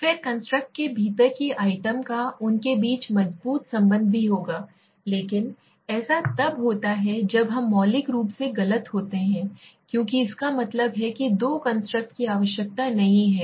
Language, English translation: Hindi, Then the items within the constructs they would also have the strong correlation among them but that happens then we are fundamentally wrong because that means there is no need of two constructs